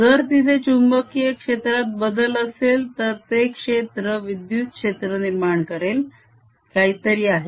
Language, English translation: Marathi, if there is a change, a magnetic field, it produces fiels, electric fiels